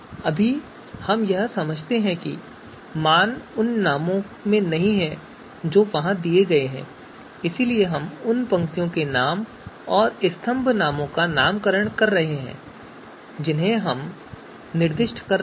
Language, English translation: Hindi, So you know you know right now we understand the values are not in the names that have been given there, so we are unnaming you know the row names, column names that are that we have been assigning